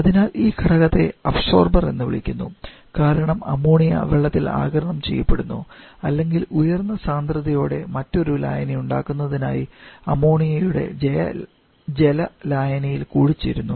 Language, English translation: Malayalam, So, this component is called observer because the ammonia is observed in water or maybe in an aqua solution of ammonia to produce another solution is higher concentration